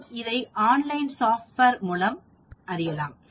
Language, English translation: Tamil, Now we can also check with the online software also